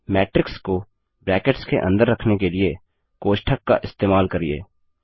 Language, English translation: Hindi, Use parentheses to enclose the matrix in brackets